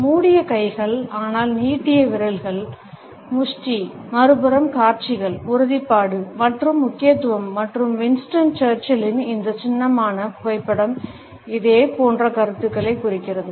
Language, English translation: Tamil, Closed hands, but fist with a protruding finger, on the other hand shows, determination and emphasis and this iconic photograph of Winston Churchill represents similar ideas